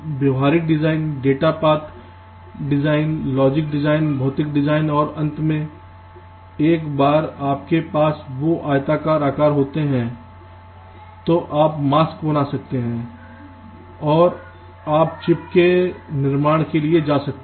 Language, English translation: Hindi, i have already mentioned them: behavior design, data path design, logic design, physical design and finally, once you have those rectangular shapes, you can create the masks and you can go for fabrication of the chip